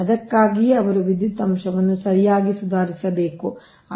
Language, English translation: Kannada, thats why they have to improve the power factor right